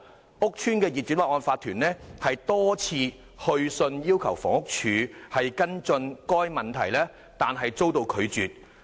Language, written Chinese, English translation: Cantonese, 該屋邨的業主立案法團多次去信要求房屋署跟進該問題但遭拒絕。, The Owners Corporation of the estate wrote repeatedly to HD requesting it to take follow - up actions on the problem but was refused